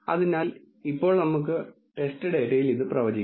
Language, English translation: Malayalam, So, now let us predict this on the test data